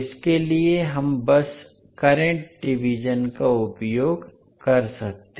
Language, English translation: Hindi, So for that we can simply utilize the current division